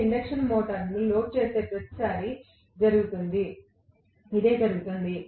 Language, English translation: Telugu, That is what happens every time you load an induction motor